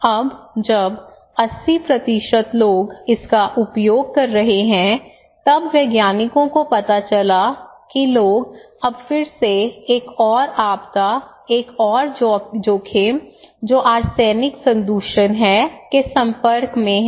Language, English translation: Hindi, Now, when the 80% people using this one then the scientists realised that the people now again exposed to another disaster, another risk that is arsenic contamination